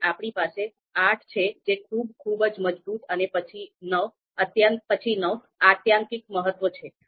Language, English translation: Gujarati, Then we have 8 which is very, very strong and then 9 extreme importance